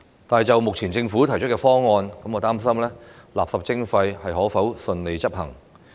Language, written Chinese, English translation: Cantonese, 但是，就目前政府提出的方案，我擔心垃圾徵費可否順利執行。, However as regards the Governments current proposal I am concerned about whether waste charging can be implemented smoothly